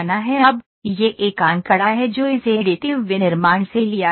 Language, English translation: Hindi, Now, this is a figure it is taken from additive manufacturing